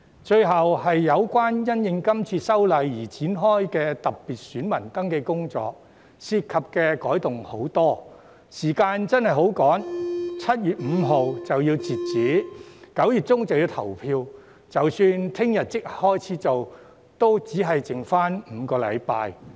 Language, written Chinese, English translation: Cantonese, 最後是有關因應這次修例而展開的特別選民登記工作，涉及的改動繁多，時間上真的相當匆忙 ，7 月5日截止後 ，9 月中便要投票，即使明天立即開始進行，也只餘下5個星期。, Lastly regarding the special voter registration to be launched as a result of this legislative amendment exercise the time is really quite rushed as a large number of changes are involved . While the deadline for special voter registration is 5 July election will be held in mid - September . Only five weeks are left even if the registration is commenced right away tomorrow